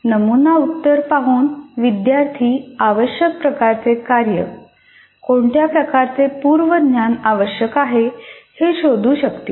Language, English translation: Marathi, By looking at the sample answer, the kind of work that is required, the kind of prerequisite knowledge that is required can be ascertained